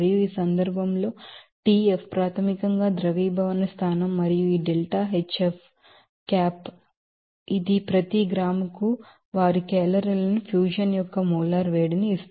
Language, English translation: Telugu, And in this case Tf is basically melting point and this deltaHf hat which is that will be molar heat of fusion their calorie per gram